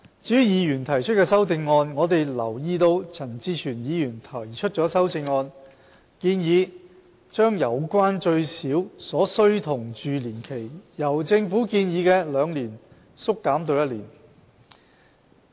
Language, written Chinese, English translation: Cantonese, 至於議員提出的修正案，我們留意到陳志全議員提出了修正案，建議把有關最少所需同住年期，由政府建議的兩年縮減至一年。, As for the amendments proposed by Members we have noticed that Mr CHAN Chi - chuen proposes to reduce the minimum duration of cohabitation from two years as proposed by the Government to one year